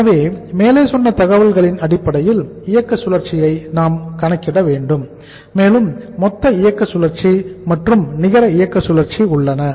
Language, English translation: Tamil, So on the basis of the aforesaid information we will have to calculate the operating cycle and the net there is a gross operating cycle and the net operating cycle